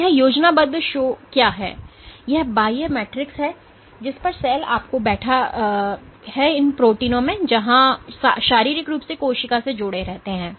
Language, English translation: Hindi, So, what this schematic shows is this extracellular matrix on which the cell is sitting you have at these proteins where there are the physically linked to the cell is physically linked to the outside